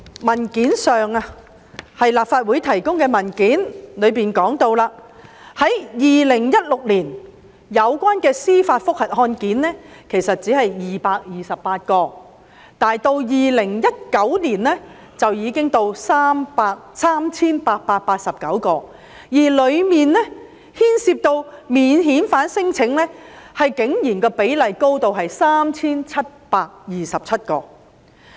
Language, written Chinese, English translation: Cantonese, 根據立法會文件提供的數字，在2016年，有關的司法覆核案件只是228宗，但2019年已達至 3,889 宗，當中牽涉免遣返聲請的個案竟然多達 3,727 宗。, According to the statistics provided in a Legislative Council paper there were only 228 such JR cases in 2016 but the number rose to 3 889 in 2019 as many as 3 727 of which stemmed from non - refoulement claims